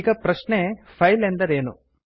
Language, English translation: Kannada, Now the question is what is a file